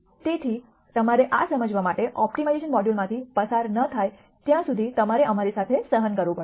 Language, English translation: Gujarati, So, you will have to bear with us till you go through the optimization module to understand this